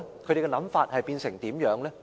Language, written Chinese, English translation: Cantonese, 他們的想法變成怎樣呢？, What are the changes in their stances?